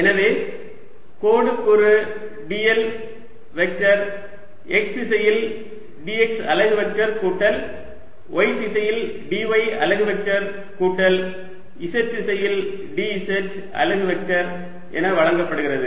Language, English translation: Tamil, so line element d l vector is given as d, x unit vector in x direction, plus d y unit vector in y direction, plus d z unit vector in z direction